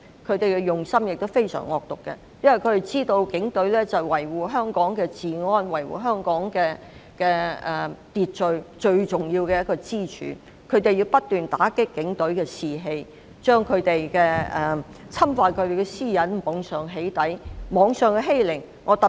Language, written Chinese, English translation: Cantonese, 他們的用心非常惡毒，知道警隊是維護香港治安和秩序最重要的支柱。他們不斷打擊警隊士氣，透過網上"起底"侵犯他們的私隱，進行網上欺凌。, Motivated by pure malevolence with the knowledge that the Police Force are the most important pillar of Hong Kongs law and order they keep undermining the morale of the Police by infringing their privacy through online doxing and subjecting them to cyberbullying